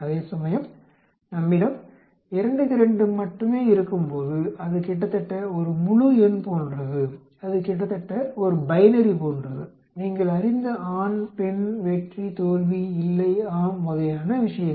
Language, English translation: Tamil, Whereas when we have only 2 by 2 it is almost like an integer, it is almost like a binary you know male, female, success, failure, no, yes sort of things, this especially here